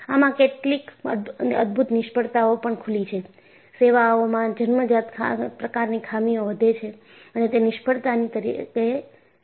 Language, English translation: Gujarati, Some of the spectacular failures have opened up that, inherent flaws grow in service and they lead to failure